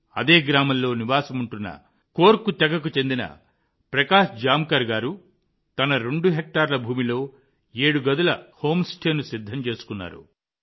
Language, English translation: Telugu, Prakash Jamkar ji of Korku tribe living in the same village has built a sevenroom home stay on his two hectare land